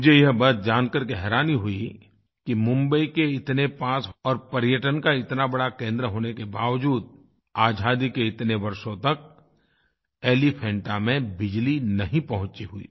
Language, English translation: Hindi, I was surprised to know that despite being such a prominent center of tourism its close proximity from Mumbai, electricity hadn't reached Elephanta after so many years of independence